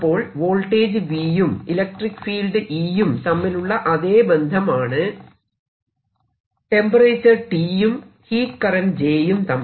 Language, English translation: Malayalam, so whatever the relationship is between v and e is the same relationship between t and the heat flow